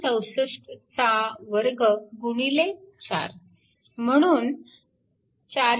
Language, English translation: Marathi, 64 square into 4, so 453